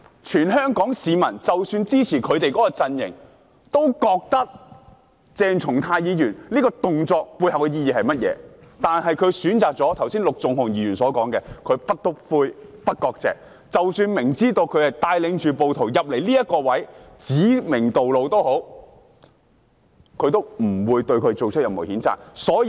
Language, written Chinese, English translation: Cantonese, 全香港市民——即使是支持他們陣營的市民——都清楚鄭松泰議員此舉的背後意義是甚麼，但反對派議員卻選擇了陸頌雄議員剛才所說的"不'篤灰'、不割席"，即使明知道他帶領着暴徒進入某位置，又指明道路也好，他們都不會對他作出任何譴責。, All Hong Kong people―even for those who support their camp―are clear about the motive behind such behaviour of Dr CHENG Chung - tai but still Members of the opposition camp have chosen to stick with No snitching no severing ties which Mr LUK Chung - hung just mentioned . Even though they are well aware that he led the rioters into certain locations and showed them the way they still refuse to impose any censure on him